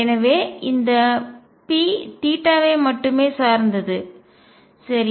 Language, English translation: Tamil, So, this p would depend only on theta, right